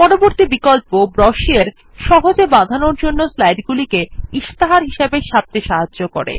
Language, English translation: Bengali, The next option, Brochure, allows us to print the slides as brochures, for easy binding